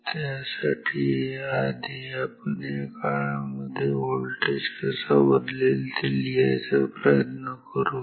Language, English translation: Marathi, So, for this let us first write how this voltage changes in this period ok